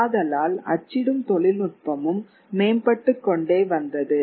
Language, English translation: Tamil, Remember printing technology also keeps on improving